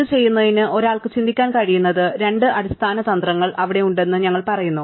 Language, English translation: Malayalam, We said there we have two basic strategies one could think of to do this